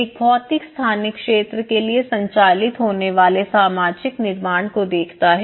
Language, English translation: Hindi, So, which actually looks at the social construct that operates for a physical spatial field